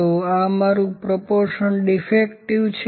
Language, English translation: Gujarati, So, this is my proportion defective